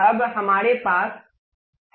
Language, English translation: Hindi, Now, we have that